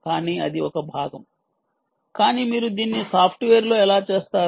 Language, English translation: Telugu, but that is one part right, but how do you do it in software